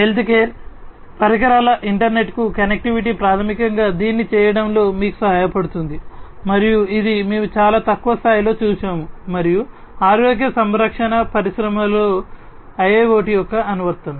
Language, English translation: Telugu, Connectivity of healthcare devices to the internet will basically help you in doing it and this is what we had seen in a very small scale and application of IIoT in the healthcare industry